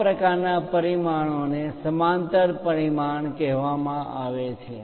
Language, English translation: Gujarati, Such kind of dimensioning is called parallel dimensioning